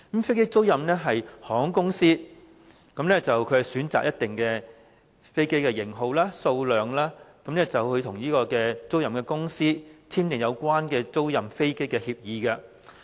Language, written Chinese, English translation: Cantonese, 飛機租賃是，航空公司在選擇飛機的型號和數量後，與租賃公司簽訂有關租賃飛機的協議。, Aircraft leasing is about the signing of an aircraft leasing agreement between an airline and a leasing company after the former has selected the models and quantity of aircraft it wants